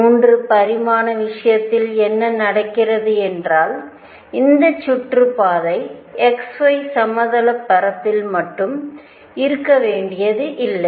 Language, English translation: Tamil, And in the 3 dimensional case what happens this orbit need not be confined to only x y plane